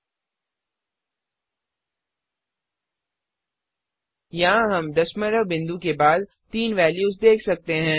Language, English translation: Hindi, We see here three values after the decimal point